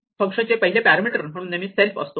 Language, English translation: Marathi, We always have the self as the first parameter to our function